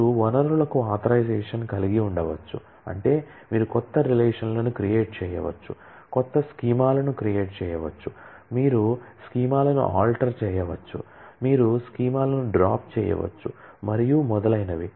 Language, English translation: Telugu, You can have authorisation for resources which mean you can create new relations, create new schemas, you can alter schemas, you can drop schemas and so on